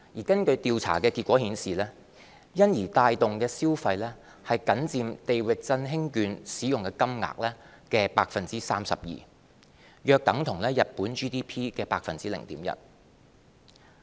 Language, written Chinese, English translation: Cantonese, 根據調查結果顯示，因而帶動的消費僅佔"地域振興券"使用金額的 32%， 約等於日本 GDP 的 0.1%。, Survey results showed that the consumption stimulated by the consumption coupons only accounted for 32 % of the value of the coupons or about 0.1 % of the countrys GDP